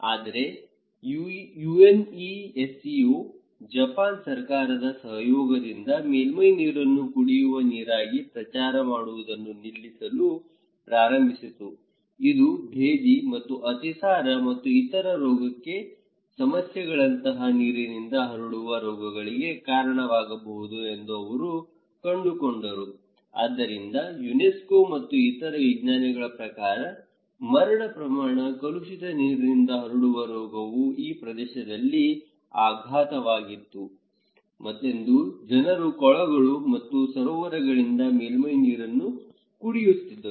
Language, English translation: Kannada, But UNESCO along with the in collaboration with the Japan government, they started to stop not promoting surface waters as a drinking water, they said that they found that it could lead to waterborne diseases like dysentery and diarrhoea and other health issues so, mortality rate was increasing there because people were drinking surface water from ponds and lakes which according to UNESCO and other scientists was contaminated waterborne disease was enormous in this area